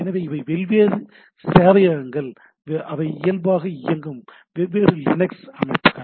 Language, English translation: Tamil, So, these are the different servers which are different Linux systems run by default